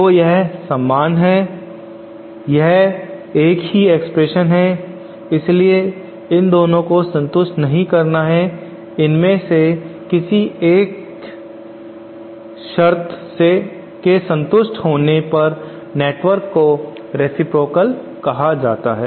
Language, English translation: Hindi, So these are the similar, they are the same expression so itÕs not both these have to be satisfied any one of these with any one of these condition is satisfied then the network is said to be a reciprocal network